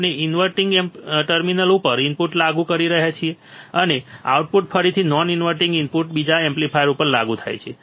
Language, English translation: Gujarati, We are applying the input at the non inverting terminal, and the output is again applied to an another amplifier at the non inverting input right